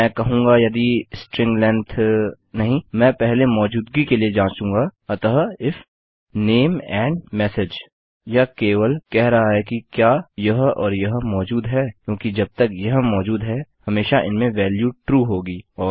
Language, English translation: Hindi, No first of all Ill check for existence So if name and message This is just saying does this exist and does this exist because as long as they do, they will always have a true value